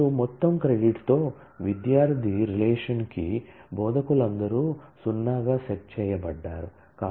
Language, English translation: Telugu, And all instructors to the student relation with total credit set to 0